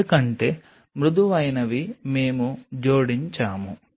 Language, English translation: Telugu, right, because the smooth we added